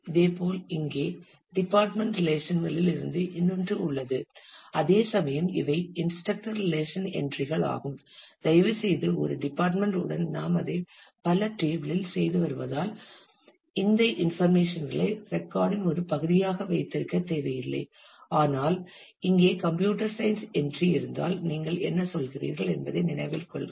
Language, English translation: Tamil, Similarly here is another which is from the department relation whereas, these are entries from the instructor relation; please note that since we are doing it multi table with a department we do not need to keep these information in as a part of the record, but what you mean is if there is a computer science entry here